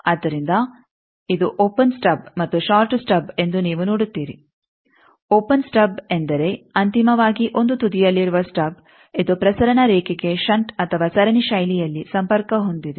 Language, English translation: Kannada, So, you see this is the open stub and short stub open stub means finally, the stub at 1 end it is connected to the transmission line either in shunt or series fashion